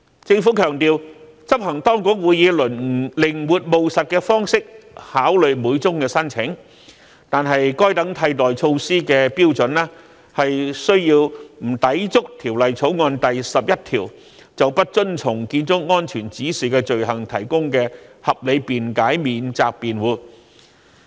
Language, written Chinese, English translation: Cantonese, 政府強調，執行當局會以靈活務實的方式考慮每宗申請，但該等替代措施的標準須不抵觸《條例草案》第11條就不遵從消防安全指引的罪行提供的合理辯解免責辯護。, The Government has stressed that the enforcement authorities would adopt a flexible and pragmatic approach in considering each application but the standard of such alternative measures would be subject to the defence of reasonable excuse for not complying with fire safety directions under clause 11 of the Bill